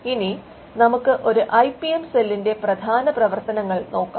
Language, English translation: Malayalam, Now let us look at the core functions of an IPM cell